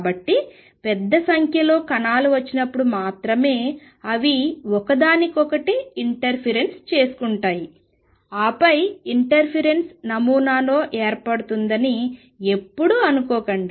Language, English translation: Telugu, So, never think that it is only when large number particles come they interfere with each other and then the form in interference pattern